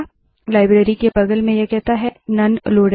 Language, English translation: Hindi, Next to the library, it says None Loaded